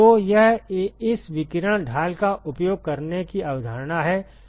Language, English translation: Hindi, So, that is the concept of using this radiation shield all right